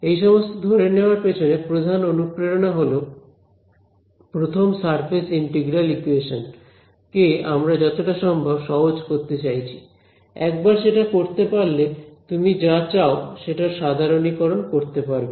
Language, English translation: Bengali, So, I mean the basic motivation behind all of these assumption is there are first surface integral equation we want to make it as simple as possible ok, once you get the hang of it you can generalize whichever way you want